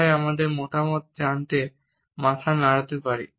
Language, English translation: Bengali, So, we may nod our head in order to pass on our feedback